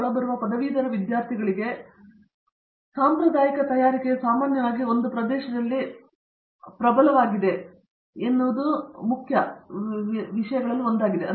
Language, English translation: Kannada, The one of the main issues is the fact that traditional preparation of incoming graduate students is usually strong in one area